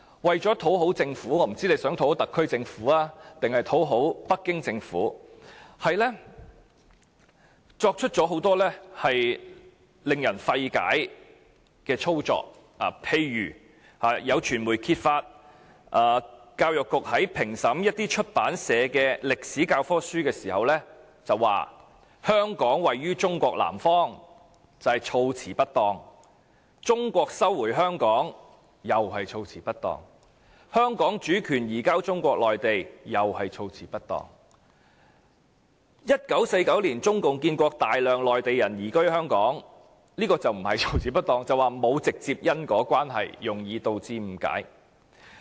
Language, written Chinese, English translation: Cantonese, 為了討好政府——我不知道是想討好特區政府，還是北京政府——課程發展處作出很多令人費解的舉措，例如有傳媒揭發教育局在評審出版社的歷史教科書時，指書中寫"香港位於中國南方"是措辭不當，"中國收回香港"又是措辭不當，"香港主權移交中國內地"同樣是措辭不當。再者 ，"1949 年中共建國，大量內地人移居香港"這描述則不是措辭不當，而是指兩者沒有直接因果關係，容易導致誤解。, CDI made many puzzling gestures . For instance it has been revealed by the media that the Education Bureau in reviewing history textbooks submitted by publishers comments that the extract of Hong Kong lies to the south of China is inappropriate and The transfer of Hong Kongs sovereignty to Mainland China is also inappropriate; as for the extract of In 1949 the communist China was established and a large number of mainlanders relocated to Hong Kong is not inappropriate but is vulnerable to misinterpretation as there is no direct causal relationship between the incidents